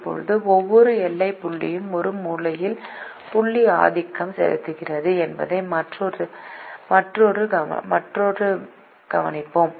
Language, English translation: Tamil, now we make another observation: that every boundary point is dominated by a corner point